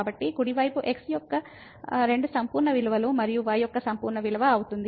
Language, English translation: Telugu, So, the right hand side will become 2 absolute value of and absolute value of